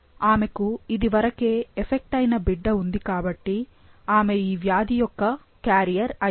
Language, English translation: Telugu, Now, since she had a child which was affected, so she must be a carrier for this disease